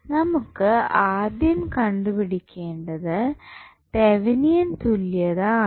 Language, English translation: Malayalam, So, what we have to do we have to first find the Thevenin equivalent